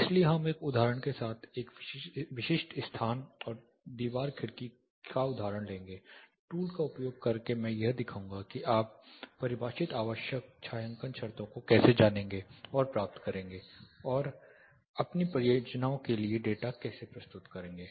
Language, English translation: Hindi, So, we will take an example a specific location and wall window example using the tool I will be demonstrating how to you know derive the defined required shading conditions and how to present the data for your projects